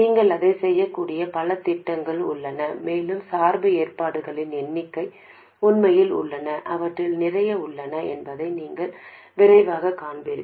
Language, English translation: Tamil, And there are a number of schemes with which you can do this and you will quickly see that the number of biasing arrangements are really, there are lots of them